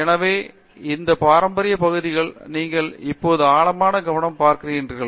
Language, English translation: Tamil, So, in all these traditional areas you are now beginning to see like deeper focus